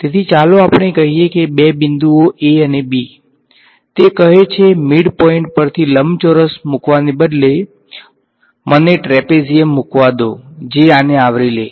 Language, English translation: Gujarati, So, this is let us say the 2 points a and b what does it do is say is instead of putting a rectangle through the midpoint, I let me put trapezium that covers this right